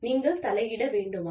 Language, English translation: Tamil, Should you intervene